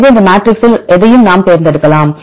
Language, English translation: Tamil, So, we can select any of these matrixes